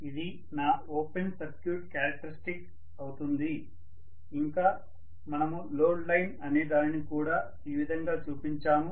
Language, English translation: Telugu, This is what is my open circuit characteristics and we also showed something called a load line, right